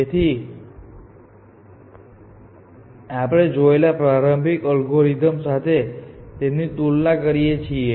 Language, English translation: Gujarati, So, let us compare this with the earlier algorithm we have seen